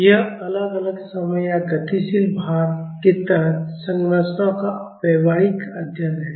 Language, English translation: Hindi, It is the study of behavioral structures under time varying or dynamic load